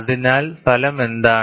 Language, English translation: Malayalam, So, what is the result